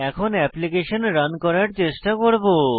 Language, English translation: Bengali, Now, we shall try running the application